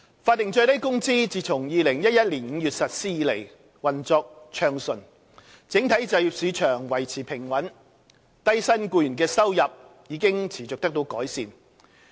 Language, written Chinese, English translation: Cantonese, 法定最低工資自2011年5月實施以來，運作暢順，整體就業市場維持平穩，低薪僱員的收入已持續得到改善。, With the smooth implementation of SMW since its introduction in May 2011 the overall employment market has remained stable and the earnings of low - income employees have continued to improve